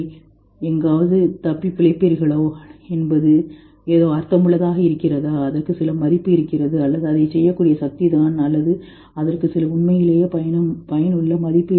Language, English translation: Tamil, Whether you will be surviving somewhere that makes some sense, it has some value, or it is just the power of being able to do it, or it has some real utility in value